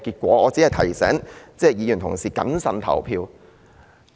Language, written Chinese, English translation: Cantonese, 我只是想提醒同事要謹慎投票。, I just want to remind my colleagues to vote with prudence